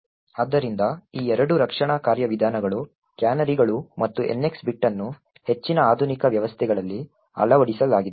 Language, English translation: Kannada, So, both this defense mechanisms the canaries as well as the NX bit are incorporated in most modern systems